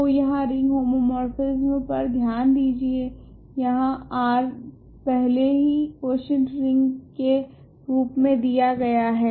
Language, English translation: Hindi, So, here consider the ring homomorphism here R is already given as a quotient ring